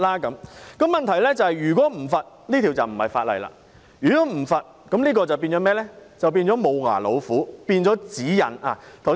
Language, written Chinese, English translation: Cantonese, 但是，問題是如果沒有罰則，這便不是一項法例，會變成"無牙老虎"，變成指引。, However the problem is that if there are no penalties it cannot be a law . It will become a toothless tiger or a set of guidelines